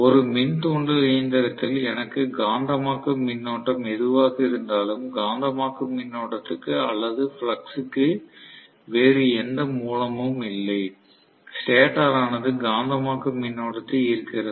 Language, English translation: Tamil, In an induction machine, no matter what I need the magnetising current, there is no other source of the magnetising current or flux, stator is drawing, magnetising current